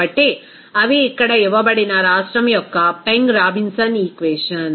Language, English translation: Telugu, So, those are the Peng Robinson equation of state here given